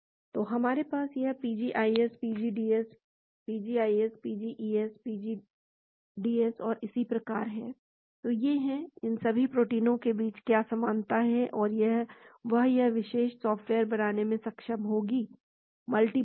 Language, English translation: Hindi, , so we have this is PGIS, PGDS, PGIS, PGES, PGDS and so on, , so these are; what are the commonality between all these proteins that is what this particular software will be able to tell; multi bind